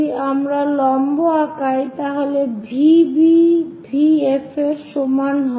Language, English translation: Bengali, If we draw perpendicular V B is equal to V F